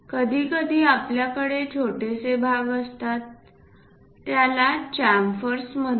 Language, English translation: Marathi, Sometimes, we have small portions named chamfers